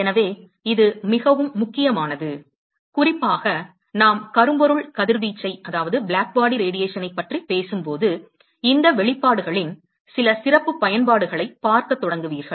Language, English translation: Tamil, So, this is very important, particularly when we talk about blackbody radiation, you will start seeing some special applications of these expressions